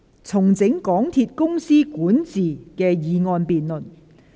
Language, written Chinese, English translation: Cantonese, "重整港鐵公司管治"的議案辯論。, The motion debate on Restructuring the governance of MTR Corporation Limited